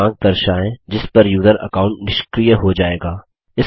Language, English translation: Hindi, Show the date on which the user account will be disabled